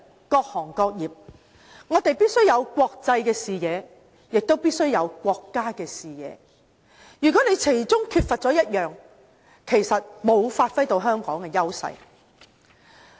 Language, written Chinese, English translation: Cantonese, 各行各業必須有國際視野，亦必須有國家的視野，如果缺乏其中一個，其實沒有發揮到香港的優勢。, Industries in Hong Kong must have an international perspective and a national perspective . Missing either one will render them incapable to make full use of Hong Kongs advantages